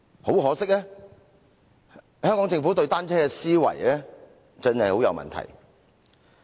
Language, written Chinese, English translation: Cantonese, 很可惜，香港政府對單車的思維真的很有問題。, Unfortunately the Hong Kong Government has a problematic idea about bicycles